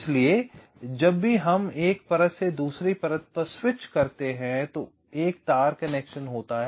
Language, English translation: Hindi, so whenever we switch from one layer to another layer, there is a wire connection